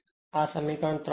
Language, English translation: Gujarati, Now, equation 4